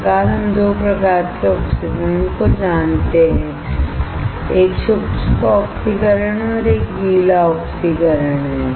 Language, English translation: Hindi, Thus, we know 2 types of oxidation, one is dry oxidation, and one is wet oxidation